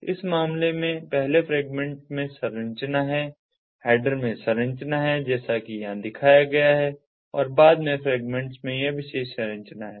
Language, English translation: Hindi, so in this case the first fragment has this structure, the header has this structure as shown over here, and the subsequent fragments have this particular structure